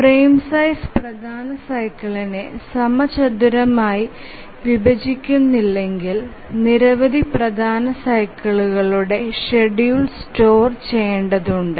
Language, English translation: Malayalam, If the frame size does not squarely divide the major cycle, then we have to store the schedule for several major cycles